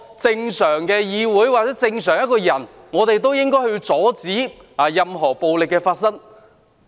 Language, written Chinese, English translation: Cantonese, 正常的議會或正常人均應該阻止任何暴力發生。, Any normal legislature or normal person should stop any violence from taking place